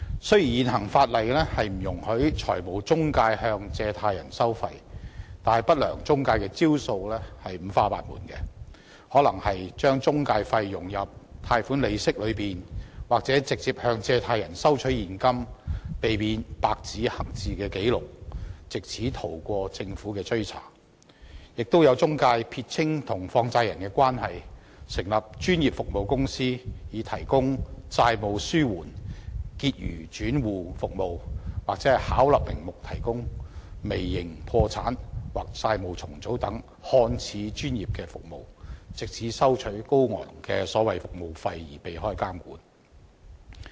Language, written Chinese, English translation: Cantonese, 雖然現行法例不容許中介公司向借貸人收費，但不良中介公司的招數五花八門，可能會把中介費融入貸款利息，又或是直接向借貸人收取現金，避免白紙黑字的紀錄，藉此逃過政府的追查，更有中介公司撇清與放債人的關係，成立專業服務公司提供"債務紓緩"和"結餘轉戶"服務，或是巧立名目地提供"微型破產"或"債務重組"等看似專業的服務，藉此收取高昂的所謂服務費而避開監管。, Although intermediaries are not permitted under the existing legislation to levy charges on borrowers unscrupulous intermediaries have all kinds of tactics . They might integrate intermediary fees into loan interests or receive cash from borrowers to avoid black - and - white records so as to evade being tracked down by the Government . What is more some intermediaries draw a line between them and money lenders by setting up professional services companies to provide debt relief and balance transfer services or seemingly professional services under various pretexts such as micro bankruptcy debt restructuring and so on with a view to collecting exorbitant service charges so to speak while evading regulation